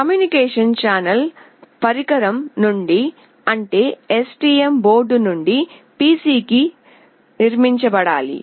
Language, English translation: Telugu, The communication channel must be built from the device, that is the STM board, to the PC